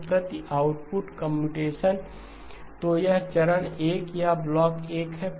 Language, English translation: Hindi, So computations per output, so this is the step 1 or block 1